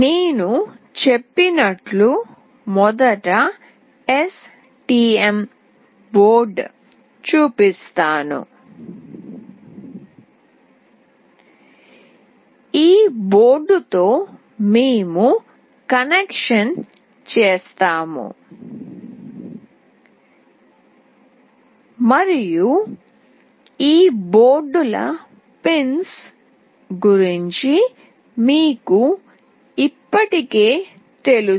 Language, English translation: Telugu, As I said I will be first showing you with the STM board; with this board we will be doing the connection and you already know about the pins of these boards